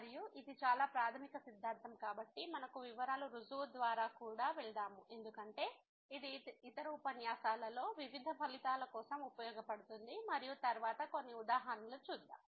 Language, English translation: Telugu, And since it is a very fundamental theorem so we will also go through the detail proof because this will be used for various other results in other lectures and then some worked examples